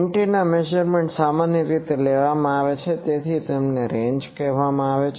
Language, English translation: Gujarati, Antenna measurements are usually taken so they are called ranges